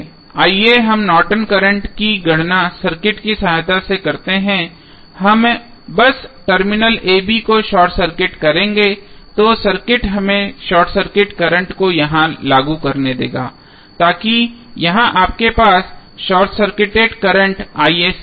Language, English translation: Hindi, Let us do the calculation of Norton's current with the help of the circuit we will just simply short circuit the terminal a, b so the circuit would be let us apply here the short circuit current so here you have short circuit current i sc